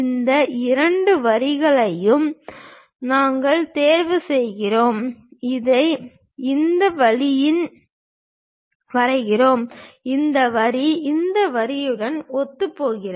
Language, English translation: Tamil, We pick this these two lines, draw it in this way and this line coincides with this line